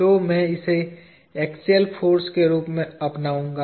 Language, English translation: Hindi, So, I will adopt this to be the axial force